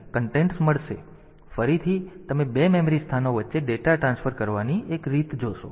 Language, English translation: Gujarati, So, this is again you see that one way of transferring data between 2 memory locations